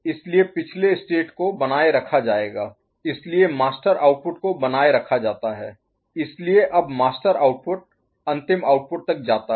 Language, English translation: Hindi, So, previous state will be retained, so master output is retained so, that master output now goes to the final output ok